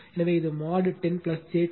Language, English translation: Tamil, So, it will be mod 10 plus j 20